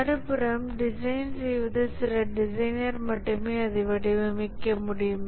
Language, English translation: Tamil, On the other hand, in design we can have only few designers designing it